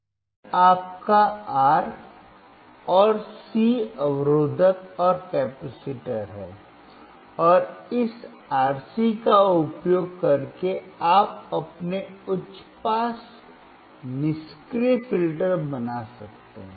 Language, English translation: Hindi, This is your R and C resistor and capacitor, and using this RC you can form your high pass passive filter